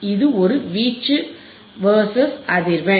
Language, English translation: Tamil, Thereis is an amplitude versus frequency